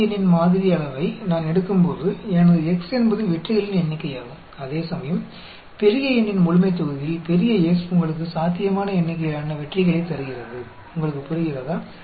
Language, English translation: Tamil, When I take a sample size of small n, then, my x is the number of successes, whereas in the population of the capital N, capital S gives you the possible number of successes; do you understand